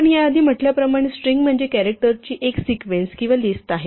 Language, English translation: Marathi, As we said the string is a sequence or a list of characters